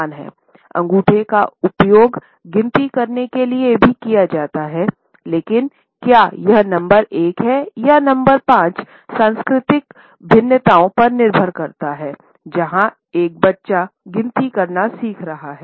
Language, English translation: Hindi, Thumbs are also used to master counting, but whether this is number one or number five depends on the cultural variations, where a child is learning to count